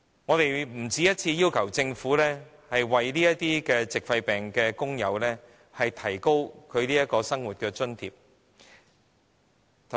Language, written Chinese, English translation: Cantonese, 我們不僅一次要求政府提高這些矽肺病的工友的生活津貼。, More than once we have asked the Government to raise the living allowance to these workers suffering from pneumoconiosis